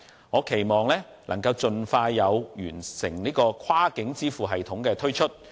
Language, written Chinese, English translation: Cantonese, 我期望能夠盡快推出完成的跨境支付系統。, I hope a completed cross - border payment system can be launched as soon as possible